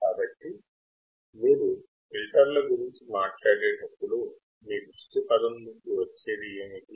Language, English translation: Telugu, So, when you talk about filters what comes into picture